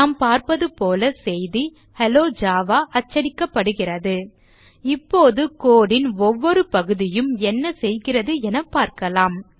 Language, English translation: Tamil, As we can see, the message that is printed now is Hello Java Now let us understand what each part of code does